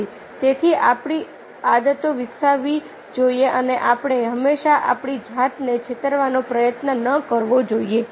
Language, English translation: Gujarati, so we should develop habits and we should not all the time try to deceive ourselves